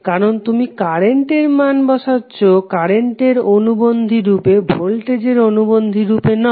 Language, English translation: Bengali, Because you’re putting value of current as a current conjugate not be voltage as a conjugate